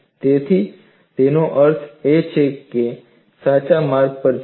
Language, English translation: Gujarati, So, that means we are on right track